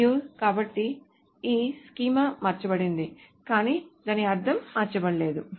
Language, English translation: Telugu, And so the schema is actually changed but not the meaning of it